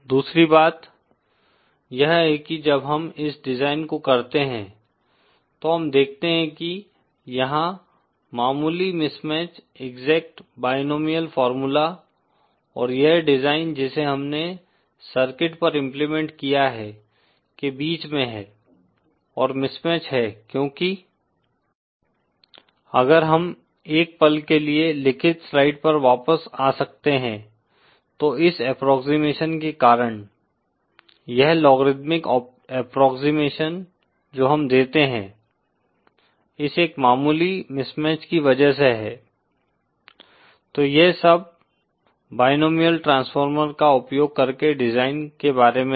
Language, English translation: Hindi, The other thing is when we do this design we see that there is a slight mismatch between the exact binomial formula and this design that we have implemented on the circuit and mismatch is because… if we can come back to the written slide for a moment is because of this approximation, this logarithmic approximation that we give, because of this, there is a slight mismatch, so that was all about design using the binomial transformer